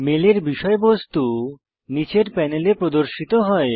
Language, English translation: Bengali, The contents of the mail are displayed in the panel below